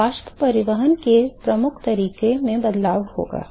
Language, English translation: Hindi, So, there will be a change in the dominant mode of heat transport